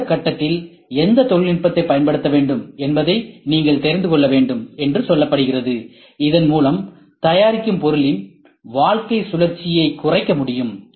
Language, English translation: Tamil, We are saying you should know exactly which technique to use or which technology to use at which stage, so that you can reduce your product lifecycle that is all ok